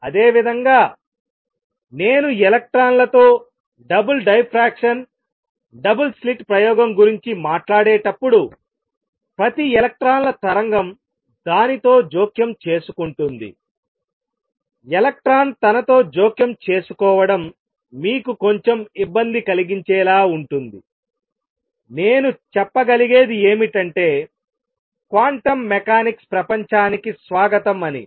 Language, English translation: Telugu, Similarly when I talk about double diffraction double slit experiment with electrons each electrons wave interferes with itself, it is as if electron interfering with itself that makes you little uneasy, only thing I can say is welcome to the world of quantum mechanics this is how things work out